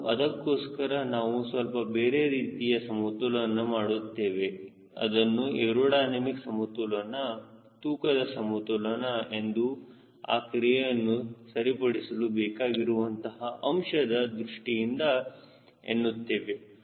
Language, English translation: Kannada, so for that we also do some other ah balances called aerodynamic balance, mass balance, in the sense we want to see that this effect is neutralized